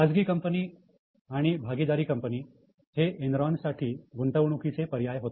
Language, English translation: Marathi, Private firms, partnership firms were valid investment for Enron